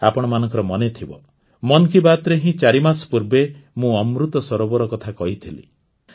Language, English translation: Odia, You will remember, in 'Mann Ki Baat', I had talked about Amrit Sarovar four months ago